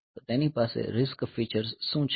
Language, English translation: Gujarati, So, what are the RISC features it has